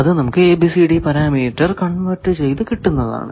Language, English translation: Malayalam, So, this we got from converting from that ABCD parameter we can get this now